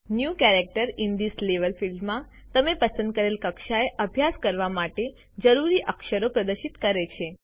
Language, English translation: Gujarati, The New Characters in This Level field displays the characters that you need to practice at the selected level